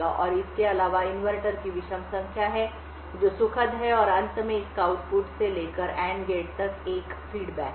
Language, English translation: Hindi, And besides these there are odd number of inverters that are pleasant and finally it has a feedback from the output to the AND gate